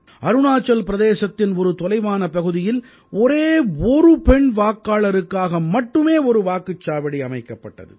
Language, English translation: Tamil, In a remote area of Arunachal Pradesh, just for a lone woman voter, a polling station was created